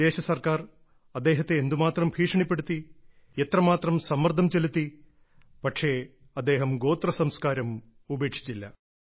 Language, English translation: Malayalam, The foreign rule subjected him to countless threats and applied immense pressure, but he did not relinquish the tribal culture